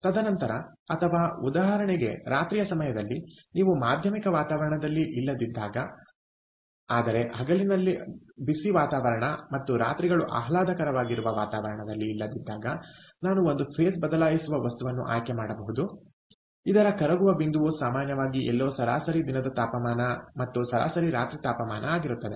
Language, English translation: Kannada, and then, or during night time, for example, when you dont in in a moderate climate where the days are hot and nights are pleasant, i can choose a material, a phase change material, whose melting point is typically somewhere in between what is the average day temperature and the average night temperature